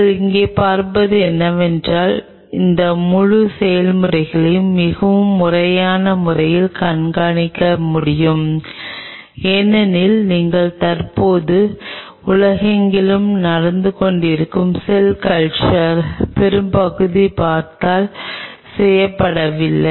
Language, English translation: Tamil, What you see here is one can monitor this whole process in a very systematic way, which otherwise if you look at most of the cell culture were currently happening across the world are not being done